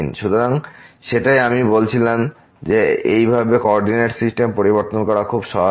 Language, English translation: Bengali, So, that that is what I said that thus changing the coordinate system is very helpful